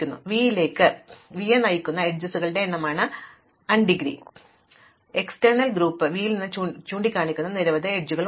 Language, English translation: Malayalam, So, the indegree is the number of edges pointing into v directed into v, the outdegree of v is a number of edges pointing out of v